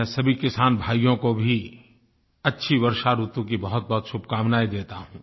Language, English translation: Hindi, I extend my greetings to all our farmer brethren hoping for a bountiful rainfall